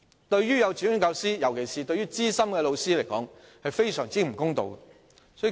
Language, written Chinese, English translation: Cantonese, 對於幼稚園教師，尤其是資深教師來說，是非常不公道的。, It is very unfair to kindergarten teachers especially the senior ones